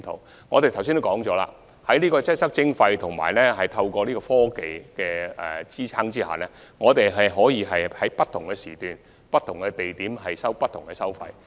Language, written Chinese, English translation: Cantonese, 正如我剛才所述，在"擠塞徵費"研究及科技的支持下，我們可以在不同時段不同地點，收取不同費用。, As I mentioned just now with the support of the study on congestion charging and technology it is possible for us to charge different tolls during different periods at different locations